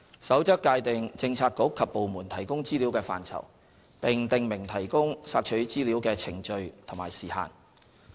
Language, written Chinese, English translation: Cantonese, 《守則》界定政策局及部門提供資料的範疇，並訂明提供索取資料的程序及時限。, The Code defines the scope of information provided by bureaux and departments and specifies the procedures and time frames for providing information requested